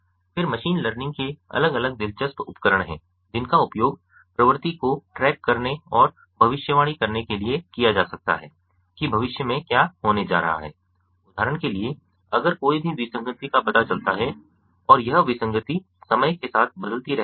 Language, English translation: Hindi, then, ah, there are different interesting tools from machine learning that that could be used to to track the trend and to predict what is going to happen in the future, for example, if there is any anomaly, detection of the anomaly and how this anomaly is varying with time, and what can be done in the future to prevent